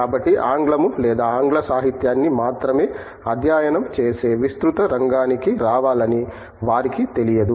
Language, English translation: Telugu, So, they donÕt know to come for broad area of studying English or English literature only